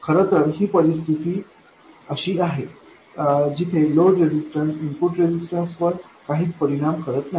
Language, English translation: Marathi, In fact this is a case where the load resistance does not affect the input resistance